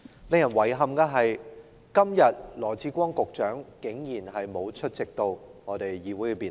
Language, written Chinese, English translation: Cantonese, 令人感到遺憾的是，羅致光局長今天竟然沒有出席立法會的辯論。, Regrettably Secretary Dr LAW Chi - kwong is surprisingly absent from the debate held in the Legislative Council today